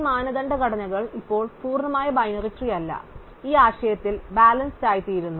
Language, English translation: Malayalam, These standards structures, now which are not complete binary trees become balanced in this notion